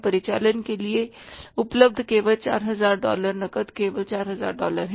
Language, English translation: Hindi, Cash available for the operations is only $4,000